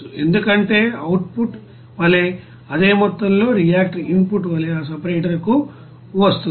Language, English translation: Telugu, Because same amount of reactor as a output it will be coming to that separator as an input